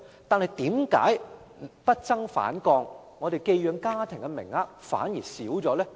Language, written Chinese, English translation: Cantonese, 但是，為何數字不增反降，寄養家庭的名額反而減少呢？, However why has the number dropped but not risen and there are fewer places of foster care homes instead?